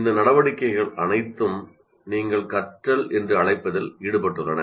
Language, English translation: Tamil, So all these activities are involved in what you call learning